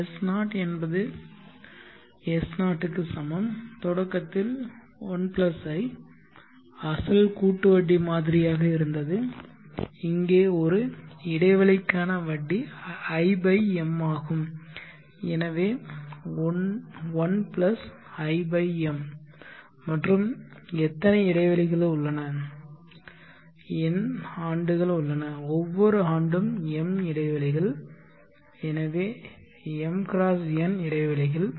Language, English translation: Tamil, (Refer Slide Time: 17:080 Now let us apply the compound interest model sn = s0, the starting 1 + i, was the original compound interest model here the interest per interval is i/m, so 1 = i/m and how many intervals are there, there are n years and each year has m intervals, so m x n intervals